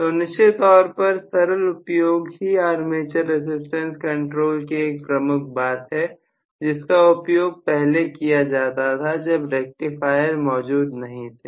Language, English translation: Hindi, So, simplicity definitely is one of the plus points of armature resistance control, which was being used when rectifiers were not in vogue